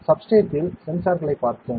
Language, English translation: Tamil, So, we have seen the sensors on the substrate, right